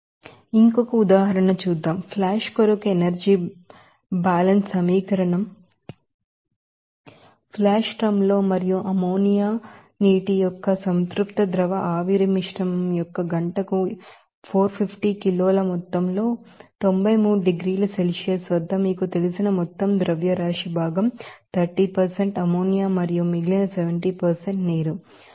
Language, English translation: Telugu, Let us do another example of you know applying this you know, energy balance equation for flash you know drum that case in the flash drum and among amount of 450 kg per hour of saturated liquid vapor mixture of ammonia water at 93 degrees Celsius with an overall mass fraction of like you know 30% ammonia and remaining 70% water is operated at you know 344